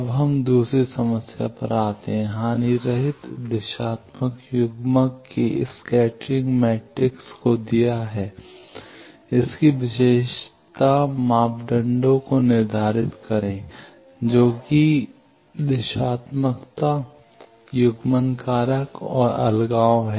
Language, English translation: Hindi, Now, let us come to the second problem; the scattering matrix of a lossless directional coupler is given, determine its characteristic parameters that is directivity coupling factor and isolation